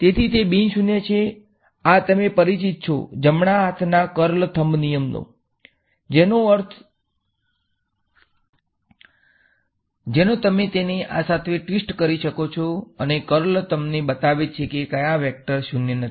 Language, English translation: Gujarati, So, this is non zero right and this is the familiar your right hand curl thumb rule sort of you can twist it along this and the curl is showing you where the vector is non zero